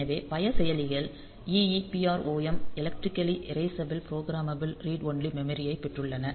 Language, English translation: Tamil, So, many processors and they had got they have got e EEPROM electrically erasable programmable read only memory